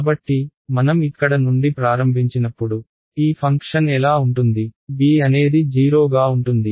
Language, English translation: Telugu, So, when I start from here what will this function look like b is 0 right